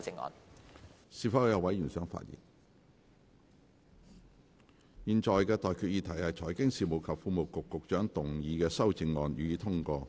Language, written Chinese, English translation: Cantonese, 我現在向各位提出的待決議題是：財經事務及庫務局局長動議的修正案，予以通過。, I now put the question to you and that is That the amendments moved by the Secretary for Financial Services and the Treasury be passed